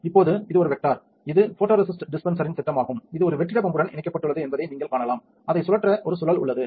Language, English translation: Tamil, Now, this is the vector this is the schematic of the photoresist dispenser, where you can see that is it is connected to a vacuum pump, there is a spindle for spinning it there is a vacuum chuck